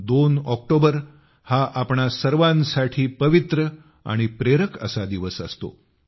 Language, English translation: Marathi, 2nd of October is an auspicious and inspirational day for all of us